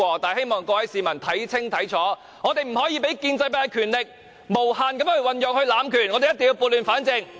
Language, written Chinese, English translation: Cantonese, 但是，希望各位市民看清楚，我們不可以讓建制派的權力無限運用、讓建制派濫權，我們一定要撥亂反正。, However I hope that members of the public can understand clearly that we cannot let the pro - establishment camp have indefinite power or abuse the power excessively . We must bring order out of chaos